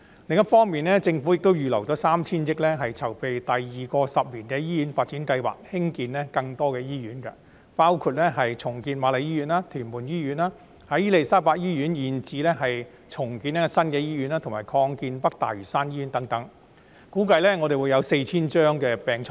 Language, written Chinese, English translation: Cantonese, 另一方面，政府已預留 3,000 億元籌備第二個十年醫院發展計劃，興建更多醫院，包括重建瑪麗醫院、屯門醫院，在伊利沙伯醫院現址興建新的醫院，以及擴建北大嶼山醫院等，估計將額外提供 4,000 張病床。, On the other hand the Government has earmarked HK300 billion for the second 10 - year Hospital Development Plan to construct more hospitals including redeveloping the Queen Mary Hospital and the Tuen Mun Hospital constructing a new hospital at the current site of the Queen Elizabeth Hospital and expanding the North Lantau Hospital and it is estimated that an addition of 4 000 beds will be provided